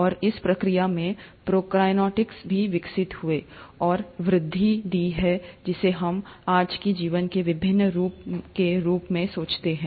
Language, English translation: Hindi, And in the process, the Prokaryotes have also evolved and has given rise, is what we think as of today to different forms of life